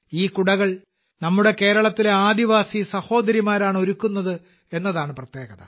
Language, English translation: Malayalam, And the special fact is that these umbrellas are made by our tribal sisters of Kerala